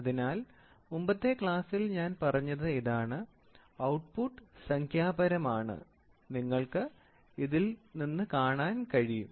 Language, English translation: Malayalam, So, this is what I said in the previous class result is the numerical value, you try to see out of this